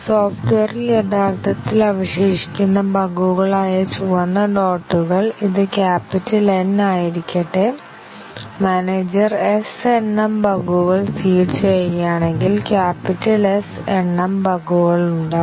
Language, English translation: Malayalam, Let the red dots, which were the bugs that have remained in the software originally, this be capital N and the manager seeds S number of bugs, capital S number of bugs